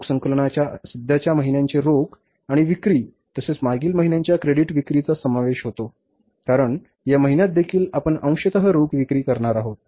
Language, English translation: Marathi, Cash collection includes the current month's cash and the sales plus previous month's credit sales because in this month also we are going to sell partly on cash